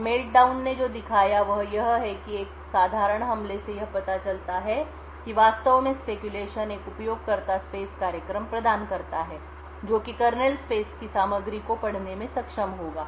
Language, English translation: Hindi, Now what Meltdown showed is that with a simple attack exploiting that features of what speculation actually provides a user space program would be able to read contents of the kernel space